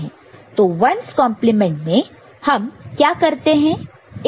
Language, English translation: Hindi, So, in 1’s complement, what do you do